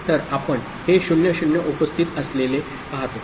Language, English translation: Marathi, So, this is what we see with 0 0 present